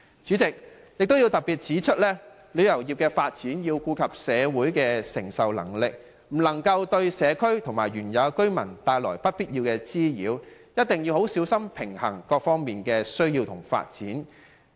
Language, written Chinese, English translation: Cantonese, 主席，我想特別指出，發展旅遊業須顧及社會的承受能力，不能對社區和當地居民帶來不必要的滋擾，一定要十分小心平衡各方面的需要和發展。, President I wish to highlight one point in developing the tourism industry we must take into account the receiving capacity of the community . We should avoid bringing unnecessary nuisance to the community and local residents and carefully balance the needs and development of various parties